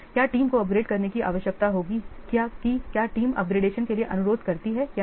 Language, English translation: Hindi, Will the team need to upgrade whether the team requires for upgrade or not